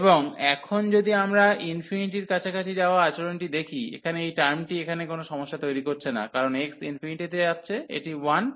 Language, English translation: Bengali, And now if we look at the behavior as approaching to infinity, so this term here is not creating trouble, because x goes to infinity this is 1